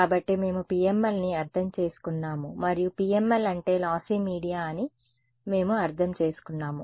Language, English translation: Telugu, So, we have understood PML and we have understood that the PML is the same as a lossy media